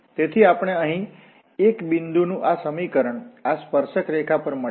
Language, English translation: Gujarati, So, we get this equation of a point here, on this tangent line